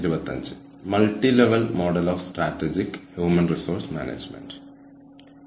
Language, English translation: Malayalam, Today, we will talk more about, Strategic Human Resource Management